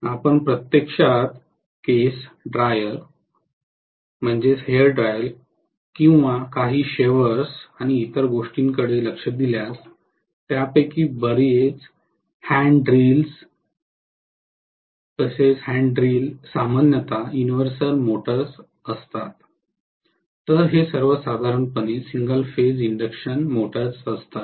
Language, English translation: Marathi, If you look at actually hair dryer or some of the shavers and so on, hand drills many of them, hand drills generally are universal motor, whereas these are all generally single phase induction